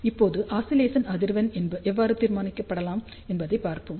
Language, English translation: Tamil, So, now let us see how the oscillation frequency can be determined